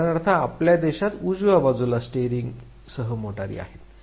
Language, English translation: Marathi, For instance, in our country we have the cars with the steering on the right side